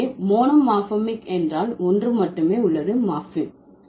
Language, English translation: Tamil, So, monomorphic means there is only one morphem